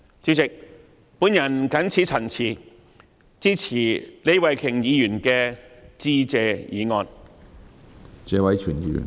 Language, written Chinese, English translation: Cantonese, 主席，我謹此陳辭，支持李慧琼議員的致謝議案。, With these remarks President I support the Motion of Thanks proposed by Ms Starry LEE